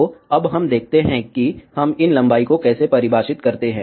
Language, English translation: Hindi, So, let us see now, how we define these lengths